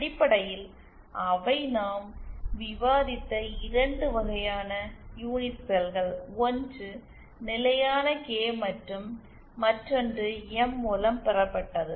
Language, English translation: Tamil, And basically they were just 2 types of unit cells that we discussed, one was the constant K and the other was M derived